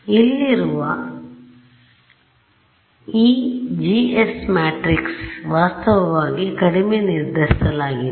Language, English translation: Kannada, This G S matrix over here is actually underdetermined ok